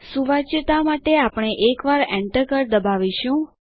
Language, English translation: Gujarati, For readability we will press the Enter key once